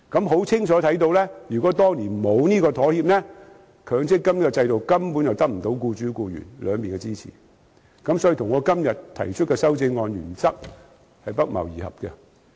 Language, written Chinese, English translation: Cantonese, 顯然，如果當年沒有這個妥協，強積金制度根本得不到僱主和僱員雙方支持。這與我今天提出修正案的原則不謀而合。, Clearly without this compromise back then the MPF System would not have received the support of both employers and employees and this happens to coincide with the principle of the amendment proposed by me today